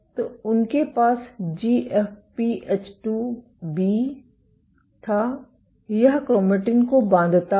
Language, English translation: Hindi, So, they had GFP H2B, this binds to chromatin